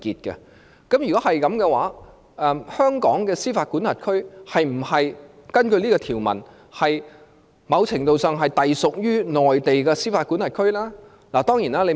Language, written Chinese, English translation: Cantonese, 如果是這樣推論的話，則香港的司法管轄區是否根據這項條文，某程度上是隸屬於內地的司法管轄區呢？, The two jurisdictions are not subordinated to each other and they have no fundamental connection at all . Based on this inference is the jurisdiction of Hong Kong subordinated to the jurisdiction of the Mainland according to this provision?